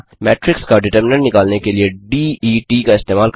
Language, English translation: Hindi, Use the function det() to find the determinant of a matrix